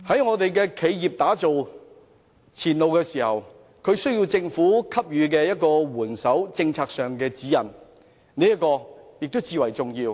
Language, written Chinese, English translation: Cantonese, 為企業打造前路時，政府在政策上施以援手和給予指引，亦至為重要。, When laying the path for future development of enterprises the Government should formulate policies to provide assistance and guidelines which is very important